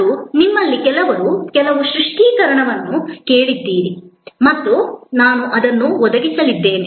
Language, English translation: Kannada, And some of you have asked for some clarification and I am going to provide that as well